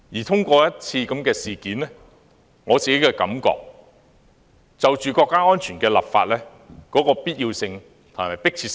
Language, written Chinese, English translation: Cantonese, 這次事件充分突顯了香港就國家安全立法的必要性和迫切性。, This incident highlighted the need and urgency for Hong Kong to draw up its own national security laws